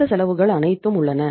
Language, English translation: Tamil, All these costs are there